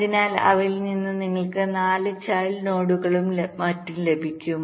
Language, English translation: Malayalam, so from each of them you get four child nodes and so on